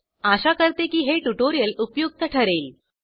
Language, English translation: Marathi, Hope you found this tutorial useful